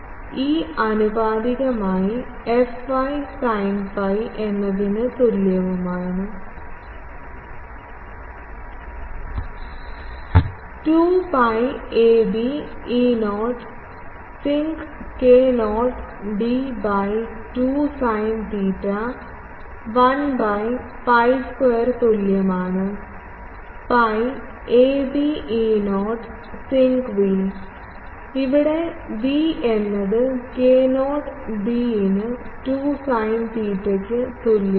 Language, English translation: Malayalam, So, E theta is proportional to fy sin phi is equal to 2 pi ab E not sinc k not d by 2 sin theta 1 by pi square is equal to 2 by pi ab E not sinc v where v is equal to k not b by 2 sin theta